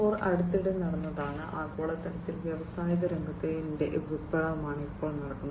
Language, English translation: Malayalam, 0 is the recent happening, it is the current revolution in the industries that is happening globally